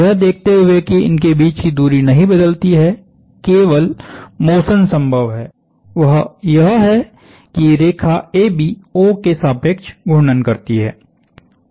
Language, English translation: Hindi, Given that the distance does not change, the only motion possible is that line AB rotate about O